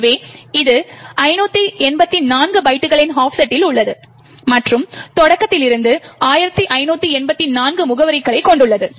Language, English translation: Tamil, So, this is at an offset of 584 bytes and has an address of 1584 from the start